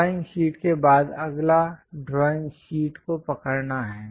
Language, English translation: Hindi, After the drawing sheet, the next one is to hold that is drawing sheet